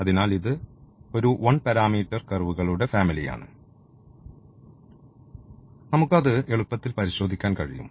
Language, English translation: Malayalam, So, this is a one parameter family of curves and we one can easily verify that